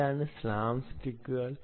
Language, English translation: Malayalam, it's called slams tick